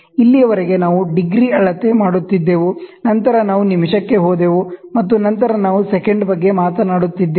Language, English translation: Kannada, Till now, what we were measuring is we were measuring it degree, then we went to minute and then we were talking about second